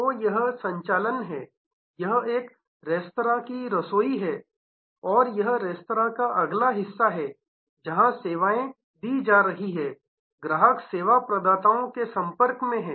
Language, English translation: Hindi, So, this is the operations, this is a kitchen of a restaurant and this is the front side of the restaurant, where services are being offered, customer is in contact with service providers